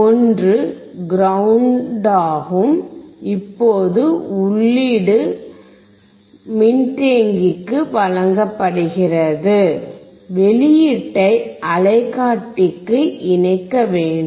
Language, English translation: Tamil, So, you can see one is ground, and the input is given to the capacitor, now we have to connect the output to the oscilloscope